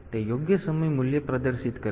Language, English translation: Gujarati, So, it will be displaying the correct time value